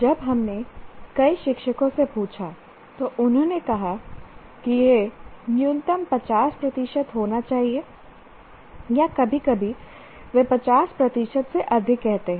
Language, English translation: Hindi, When we ask several teachers, they all say at least it should be, the minimum should be 50 percent or sometimes they say more than 50 percent